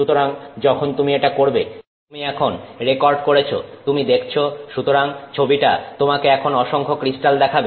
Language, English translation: Bengali, So, when you do that you have now recorded, you know you are watching so the image will be now showing you a lot of crystals